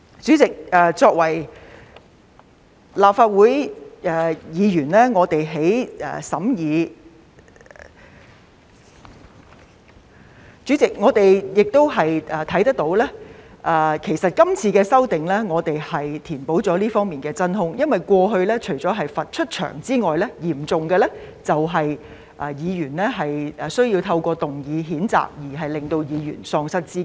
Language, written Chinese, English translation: Cantonese, 主席，作為立法會議員，我們在審議......主席，我們也看到今次修訂填補了這方面的真空，因為過去除了罰有關議員離場外，最嚴重的就是透過譴責議案，使議員喪失資格。, President as Members of the Legislative Council when we deliberate President we are also cognizant that this amendment will fill the vacuum in this respect because usually apart from asking the Member concerned to leave the Chamber the most serious consequence is disqualification of that Member through a censure motion